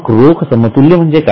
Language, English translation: Marathi, What is the cash equivalent